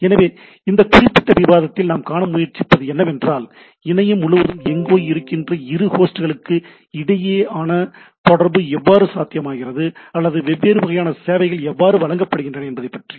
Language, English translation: Tamil, So, what we try to see in this particular talk is that how a communication between two host anywhere across the internet is possible by the, or different type of services are provided into the things